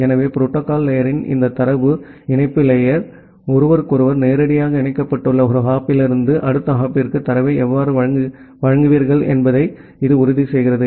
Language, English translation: Tamil, So, this data link layer of the protocol stack, it ensures that how will you deliver the data from one hop to the next hop, which are directly connected with each other